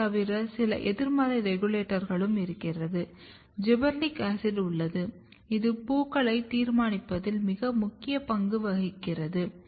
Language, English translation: Tamil, Then, apart from that you have some negative regulators you have gibberellic acid which is playing very important role in deciding the flowers